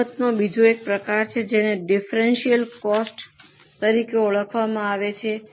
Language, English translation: Gujarati, There is another variant of this cost that is known as differential costs